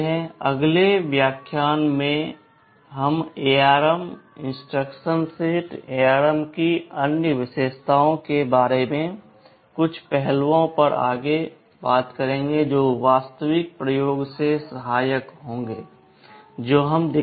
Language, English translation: Hindi, From the next lecture onwards, we shall be moving on to some aspects about the ARM instruction set and other features of ARM that will be helpful in the actual experimentation that we shall be showing